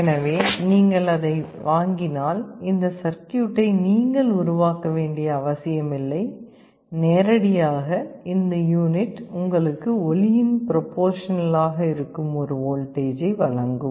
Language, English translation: Tamil, So, if you buy it you need not have to construct this circuit, directly this unit will give you a voltage that will be proportional to the sound